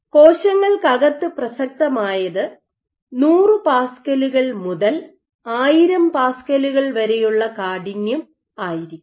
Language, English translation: Malayalam, So, relevant to in vivo would be 100s of pascals to 1000s of pascals